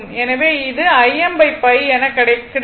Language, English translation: Tamil, So, it will become 3